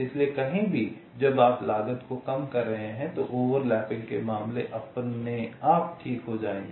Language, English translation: Hindi, so anywhere when you are minimizing the cost, the overlapping cases will get eliminated automatically